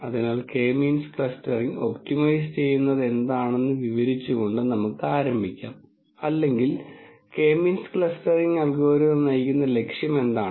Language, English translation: Malayalam, So, let us start by describing what K means clustering optimizes or what is the objective that is driving the K means clustering algorithm